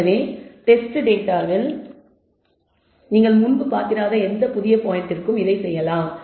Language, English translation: Tamil, So, you can do this for any new point which you have not seen before in the test set also